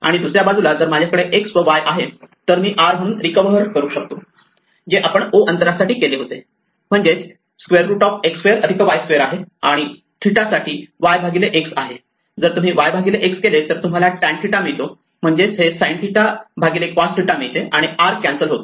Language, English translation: Marathi, And on the other hand, if I have x and y then I can recover r as we just did for o distance it's the square root of x square plus y square, and theta so y by x is actually if you if you divided y by x you get tan of theta that is because it's sin divided by cos and the r cancels